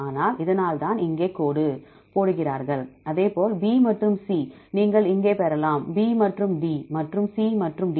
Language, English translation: Tamil, So, this why they put dash here likewise B and C you can get here, B and D, and C and D